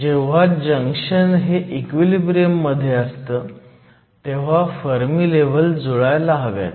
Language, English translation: Marathi, Whenever we have a junction and junction is at equilibrium, we said that the Fermi levels must line up